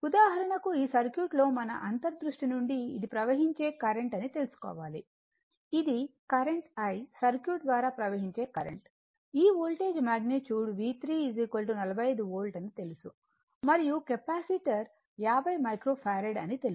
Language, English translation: Telugu, For example, in this circuit you have to you have to , you have to , from your intuition you have to find out this is the current flowing this is the current flowing, current flowing , through the Circuit I, this Voltage magnitude 55 your Volt is known that is your V 3 and Capacitor is 50 micro Farad right